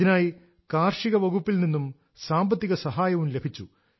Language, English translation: Malayalam, For this, he also received financial assistance from the Agricultural department